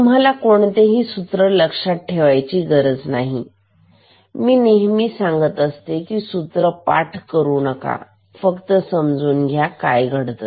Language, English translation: Marathi, You need not remember any formula I always told you do not remember any formula just understand what is happening